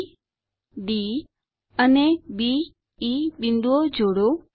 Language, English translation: Gujarati, Join points B, D and B , E